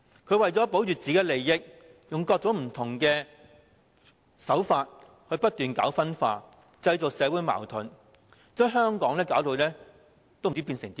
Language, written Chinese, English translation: Cantonese, 他為求保護自身利益，採取各種不同手法不斷搞分化，製造社會矛盾，將香港弄至一團糟。, To protect his own interests he has employed all kinds of tactics to keep sowing dissensions and create social conflicts thus turning Hong Kong into a mess